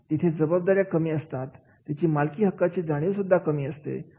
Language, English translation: Marathi, Lower the fulfillment of the accountabilities, lower is the sense of ownership is there